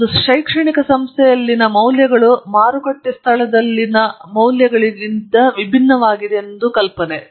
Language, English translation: Kannada, The idea is that the values in an academic institution are different from values in a market place